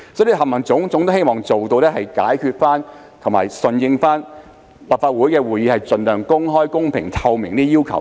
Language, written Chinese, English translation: Cantonese, 凡此種種均希望解決有關問題，並順應立法會的會議盡量公開、公平、透明的要求。, All these seek to address the relevant problems and comply with the requirement that meetings of the Legislative Council should be open fair and transparent as far as possible